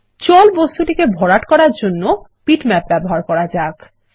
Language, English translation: Bengali, Let us use bitmaps to fill the object water